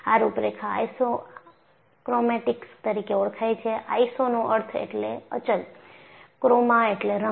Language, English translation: Gujarati, These contours are known as Isochromatic; the meaning isiso means constant; chroma means color